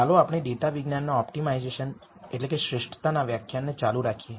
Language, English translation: Gujarati, Let us continue our lectures on optimization for data science